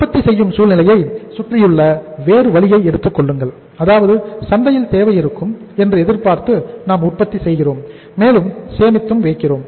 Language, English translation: Tamil, And you take about the other way around the situation in another way round that we are manufacturing and we are storing expecting that there will be a demand in the market